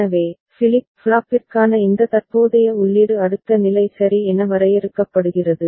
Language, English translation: Tamil, So, this current input for the flip flop for which the next state is defined ok